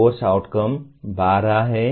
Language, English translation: Hindi, Program Outcomes are 12